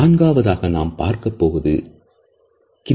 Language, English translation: Tamil, The fourth is Kinesics